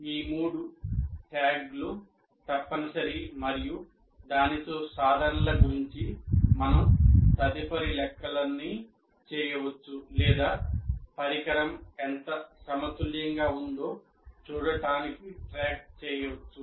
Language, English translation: Telugu, These three tags are compulsory and with that we can do all our subsequent calculation about attainments or keeping track to see the whether the how well the the instrument is balanced and so on